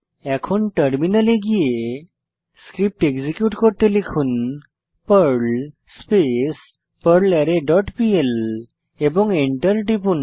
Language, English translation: Bengali, Then switch to the terminal and execute the Perl script by typing perl arrayFunctions dot pl and press Enter